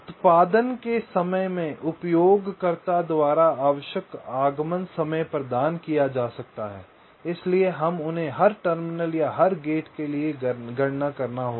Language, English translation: Hindi, required arrival times may be provided by the user with respect to the output, so we have to calculated them for every terminal or every gate